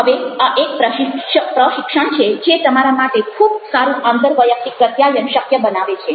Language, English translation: Gujarati, now, this is a training which makes it possible for you to have very good interpersonal, good communication